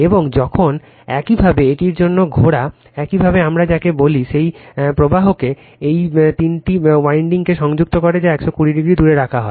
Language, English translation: Bengali, And when you revolve in this, your what we call that flux linking all these three windings, which are placed 120 degree apart